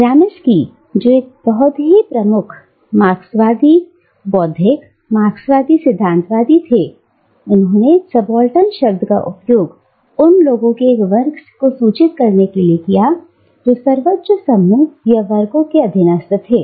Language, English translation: Hindi, Gramsci, who was a very prominent Marxist intellectual, Marxist theoretician, used the word subaltern to signify a section of people who were subordinate to the hegemonic groups or classes